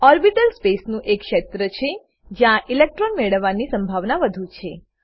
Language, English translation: Gujarati, An orbital is a region of space with maximum probability of finding an electron